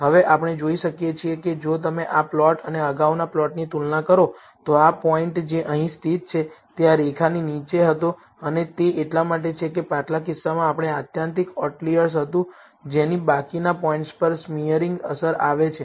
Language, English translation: Gujarati, Now, we can see that, if you compare this plot and the earlier plot this point, which is located here was below this line and that is because we had an extreme outlier in the previous case, that had a smearing effect on the remaining points